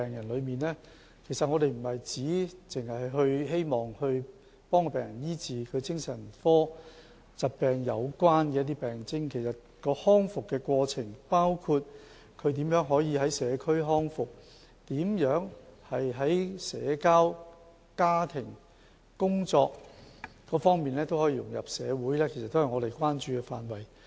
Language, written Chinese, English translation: Cantonese, 我們不僅醫治病人的精神科疾病病徵，還關注他們的康復過程，包括他們如何在社區康復，如何在社交、家庭及工作等方面都可以融入社會，都是我們關注的範圍。, Apart from treating the symptoms of psychiatric illnesses we also care for the rehabilitation process of patients including their rehabilitation in the community how they integrate socially in family and at work . All these are areas of our concern